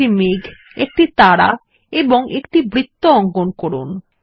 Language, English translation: Bengali, Insert a cloud, a star and a circle